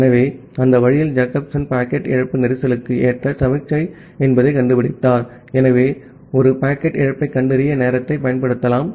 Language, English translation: Tamil, So, that way Jacobson found out that the packet loss is a suitable signal for congestion, so you can use the timeout to detect a packet loss